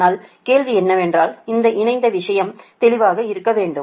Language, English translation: Tamil, but question is that this conjugate things should be clear